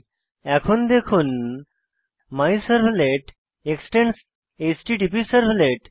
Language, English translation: Bengali, Note that MyServlet extends the HttpServlet